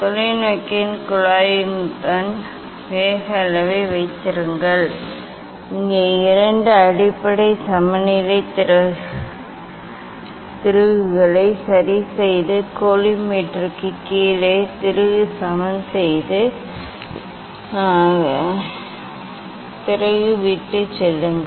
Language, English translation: Tamil, keep the speed level the along the tube of the telescope and here it is telling that adjust two base leveling screw, leveling the screw below the collimator, leaving the screw below the collimator